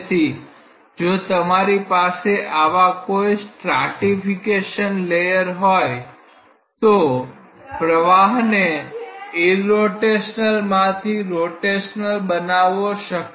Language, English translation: Gujarati, So, if you have such stratified layers then it is possible that makes the flow rotational from irrotational